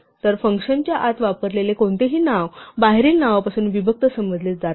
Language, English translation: Marathi, So, any name which is used in side of function is to be thought of as disjoint from the name outside